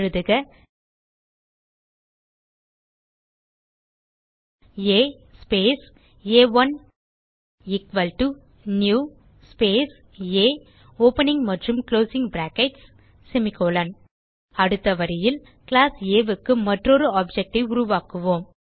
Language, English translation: Tamil, So type A space a1 equal to new space A opening and closing brackets semicolon Next line we will create one more object of class A